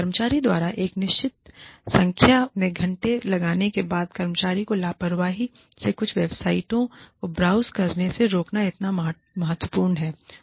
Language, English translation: Hindi, After the employee, has put in a certain number of hours, is it so important, to prevent the employee from, casually browsing, some websites